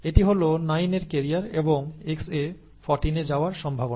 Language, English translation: Bengali, So it is the probability that 9 is a carrier and Xa goes to 14